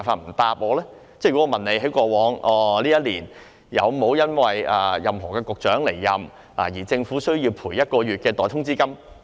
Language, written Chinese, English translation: Cantonese, 例如我問政府過去一年，有沒有因為任何局長離任而需要賠償一個月代通知金？, For instance I can ask whether in the previous year there was any case in which the Government was required to pay one months salary in lieu of notice as compensation for the departure of a Bureau Director